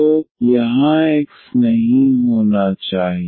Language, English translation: Hindi, So, there should not be x here